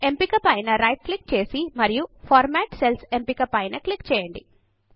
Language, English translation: Telugu, Now do a right click on cell and then click on the Format Cells option